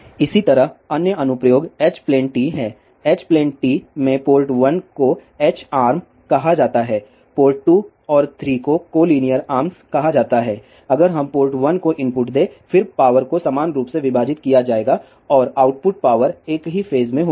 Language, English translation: Hindi, Similarly, the other application is H plane Tee, in H plane Tee the port 1 is called as H arm, port 2 and 3 are called as collinear arms, if we give input to port 1, then power will be divided equally and the output powers will be in the same phase